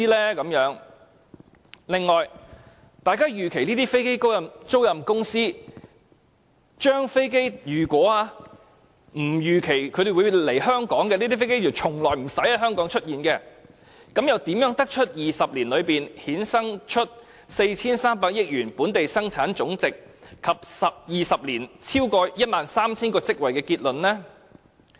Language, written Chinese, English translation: Cantonese, 此外，如果大家預期這些飛機租賃公司的飛機不會來港，即從不會在香港出現，又怎得到在20年裏會衍生 4,300 億元本地生產總值及超過 13,000 個職位的結論呢？, Do we really have to provide tax incentives for them to set up companies in Hong Kong? . Furthermore if we do not expect the aircraft under these lessors to come to and appear in Hong Kong at all how can we conclude that a GDP of 430 billion and more than 13 000 positions will be created in 20 years?